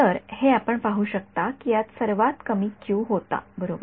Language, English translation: Marathi, So, this is you can see this had the lowest Q right